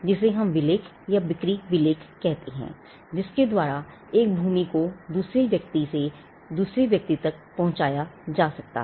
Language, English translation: Hindi, What we call the deed or the sale deed, by which a land is conveyed from one person to another